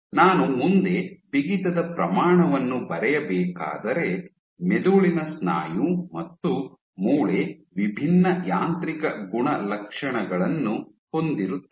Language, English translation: Kannada, If I were to draw a stiffness scale forward to or stiffness scale you have brain muscle and bone which have distinct mechanical properties